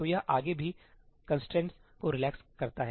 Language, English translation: Hindi, So, it relaxes the constraints even further